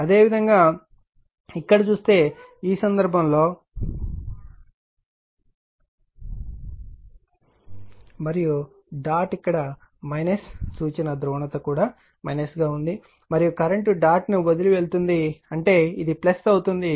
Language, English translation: Telugu, Similarly, similarly if you see here, in this case if you see here current actually this i 2 leaving the dot and dot is here in this minus also the reference polarity is also minus and current leaving the dot; that means, this will be plus right